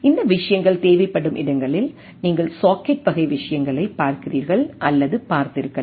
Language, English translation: Tamil, Also you might have seen or look at the things where you look at the socket type of things, where these things are required